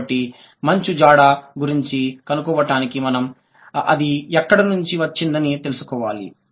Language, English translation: Telugu, So, obviously, so to reach to the ice, we have to trace back where has it come from